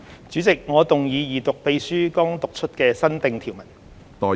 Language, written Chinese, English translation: Cantonese, 主席，我動議二讀秘書剛讀出的新訂條文。, Chairman I move the Second Reading of the new clause just read out by the Clerk